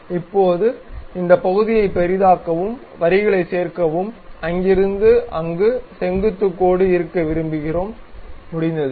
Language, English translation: Tamil, Now, zoom into this portion, add lines, perhaps we would like to have a very vertical line from there to there, done